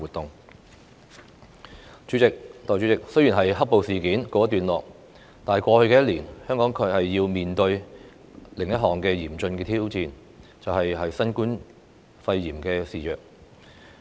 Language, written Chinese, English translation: Cantonese, 代理主席，雖然"黑暴"事件告一段落，但在過去一年，香港卻要面對另一項嚴峻的挑戰：新冠肺炎肆虐。, Deputy President although the black - clad riots have subsided Hong Kong is facing another serious challenge the coronavirus pandemic